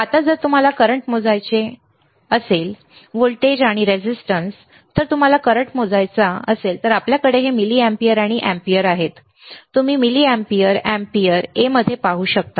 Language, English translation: Marathi, Now, if you want to measure current, right this voltage, and resistance, if you want to measure the current, then we have this milliamperes and amperes you can see milliamperes mA amperes a capital A here, right